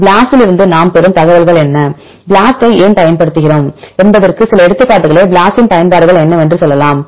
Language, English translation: Tamil, So, what are the features of BLAST, what are the information you obtain by using the BLAST, can tell some examples what are the information we obtain from BLAST, why the BLAST is used what are applications of BLAST right